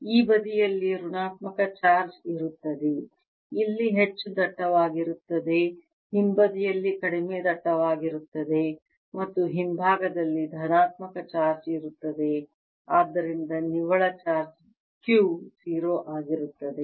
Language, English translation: Kannada, now, on this side there will be negative charge, more dense here, less dense in the back side, and on back side will be positive charge, so that net charge q is zero